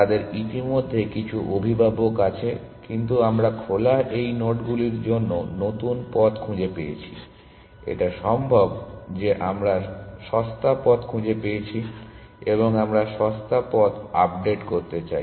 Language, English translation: Bengali, So, they already have some parent, but we have found a new path to these nodes on open; it is possible that we might have found the cheaper path and we want to update the cheaper path